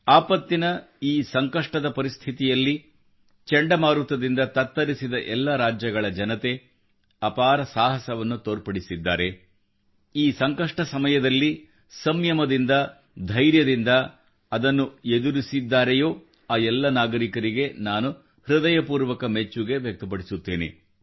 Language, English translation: Kannada, Under these trying and extraordinary calamitous circumstances, people of all these cyclone affected States have displayed courage…they've faced this moment of crisis with immense patience and discipline